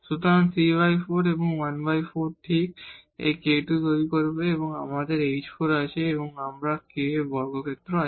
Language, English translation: Bengali, So, 3 by 4 and this 1 by 4 will make exactly this k square there and we have h 4 and we have k into h square